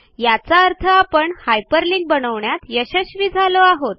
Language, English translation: Marathi, This means that the hyperlinking was successful